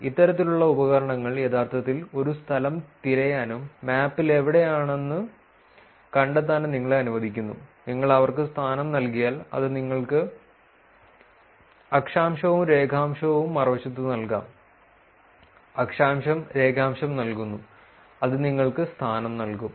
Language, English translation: Malayalam, These kind of tools lets you actually reverse look up a place and find out where they are in the map; if you give them location, it can actually give you the latitude, longitude even the other way round, you give the latitude longitude it will give you the location